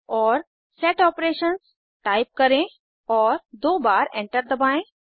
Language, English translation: Hindi, And type Set Operations: and press Enter twice